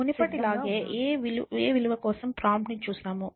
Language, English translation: Telugu, So, as before we see the value prompt for a